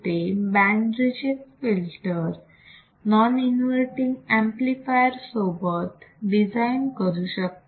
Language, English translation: Marathi, So, let me design band reject filter with a non inverting amplifier